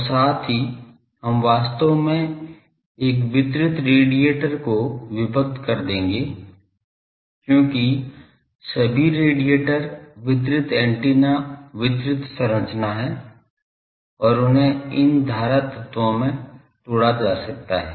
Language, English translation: Hindi, And also we will be actually breaking a distributed radiator because all radiators are distributed antennas are distributed structure and they are they can be broken into these current elements